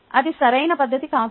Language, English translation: Telugu, thats not very appropriate